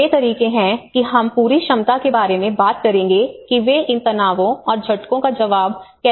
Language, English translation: Hindi, So these are the ways how the whole capacity we will talk about how they are able to respond to these stresses and shocks